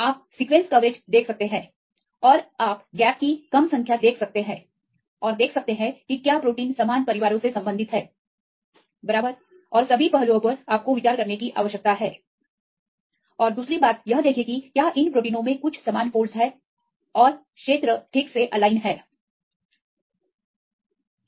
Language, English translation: Hindi, You can see sequence coverage and you can see the less number of gaps and see whether the proteins belong to similar families, right and all the aspects you need to consider right and second is see if these proteins have some similar folds and the regions are properly aligned